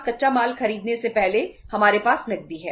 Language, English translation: Hindi, We have, before buying the raw material we have the cash in our hands